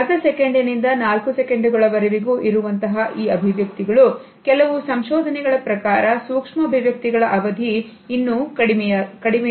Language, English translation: Kannada, They last not more than half a second up to 4 seconds and some researchers say that the duration of micro expressions is even less